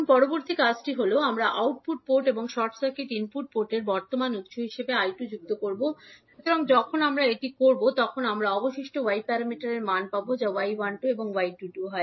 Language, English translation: Bengali, Now, next task is that we will add I 2 as a current source at output port and short circuit the input port, so when we will do that we will get again the values of remaining Y parameters that is y 12 and y 22